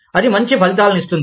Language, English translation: Telugu, That is likely to yield, better results